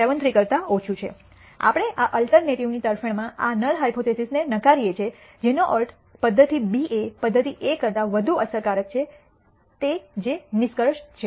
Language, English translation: Gujarati, 73 we reject this null hypothesis in favor of this alternative, which means method B is more effective that method A that is a conclusion